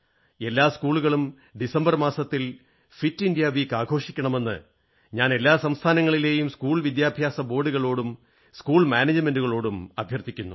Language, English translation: Malayalam, I appeal to the school boards and management of all the states of the country that Fit India Week should be celebrated in every school, in the month of December